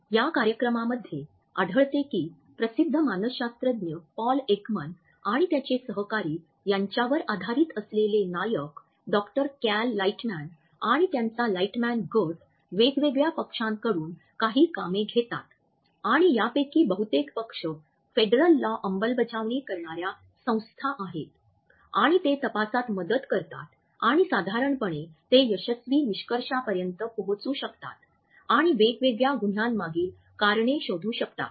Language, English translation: Marathi, In this show we find that the protagonist Doctor Cal Lightman who has been modeled on Paul Ekman, the famous psychologist and his colleagues in what is known as the Lightman group take up assignments from different parties and most of these parties are the local in the federal law enforcement agencies and they assist in investigations and normally they are able to reach at successful conclusions and find out the reasons behind different crimes